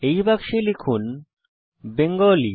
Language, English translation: Bengali, Inside this box lets type Bengali